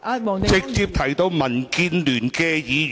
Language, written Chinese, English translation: Cantonese, 她有直接提到民建聯議員。, She did make direct reference to DAB Members